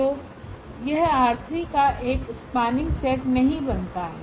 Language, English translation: Hindi, So, this does not form a spanning set of R 3